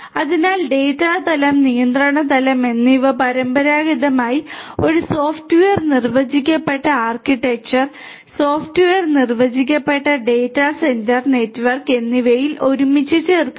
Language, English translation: Malayalam, So, data plane and the control plane traditionally were put together in a software defined architecture, a software defined data centre network we are talking about separating out the control plane from the data plane